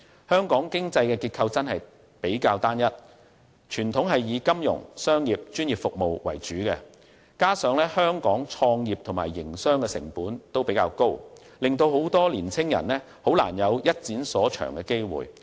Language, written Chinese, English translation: Cantonese, 香港的經濟結構過於單一，向來是以金融、商業和專業服務為主，加上香港創業和營商成本較高，令很多年青人難有一展所長的機會。, The economic structure of Hong Kong is excessively uniform and has always been relying on financial commercial and professional services . Owing to the high costs of entrepreneurship and business operation it is difficult for many young people to actualize their potentials